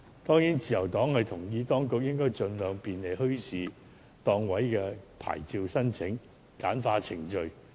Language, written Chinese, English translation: Cantonese, 當然，自由黨認同當局應該盡量簡化墟市檔位的牌照申請程序。, Certainly the Liberal Party agrees that the authorities should streamline the application procedures for stall licence at bazaars